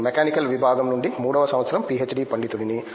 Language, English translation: Telugu, I am third year PhD scholar from Mechanical Department